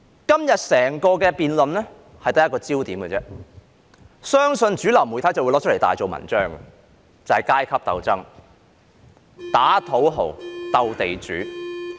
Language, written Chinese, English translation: Cantonese, 今天整項辯論只有一個焦點，相信主流媒體會拿出來大做文章，便是階級鬥爭——打土豪，鬥地主。, In todays debate there is only one focus which I believe would allow the mainstream media to have a field day and that is the class struggle―the fight against the uncouth rich and landlords